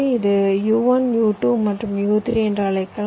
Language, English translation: Tamil, let say u, u one, u two, u, three, like this